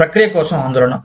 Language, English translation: Telugu, Concern for process